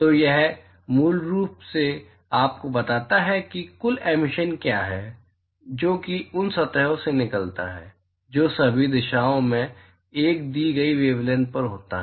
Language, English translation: Hindi, So, this basically tells you, what is the total emission, that comes out of that surfaces, summed over all directions, at a given wavelength